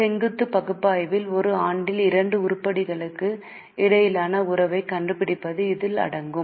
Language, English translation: Tamil, In vertical analysis this involves finding out the relationship between two items in respect of the same year